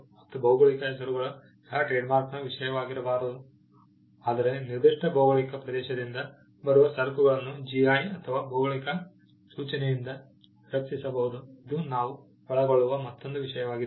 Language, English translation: Kannada, Geographical names cannot be a subject of trademark, but goods coming from a particular geographical territory can be protected by GI or geographical indication; which is another subject that we will be covering